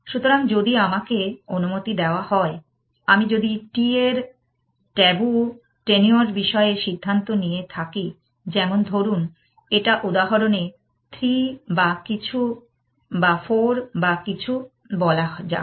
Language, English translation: Bengali, So, if I am allowed to, if I decide on tabu tenure of t, let us say in this example, let say 3 or something or 4 or something